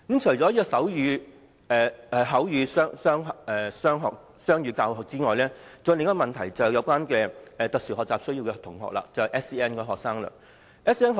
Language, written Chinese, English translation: Cantonese, 除了手語和口語雙語教學外，還有另一個問題，便是關於有特殊教育需要的同學，即 SEN 學生。, Other than using sign language and verbal language as the bilingual media of instruction there is another problem that concerns students with special educational needs SEN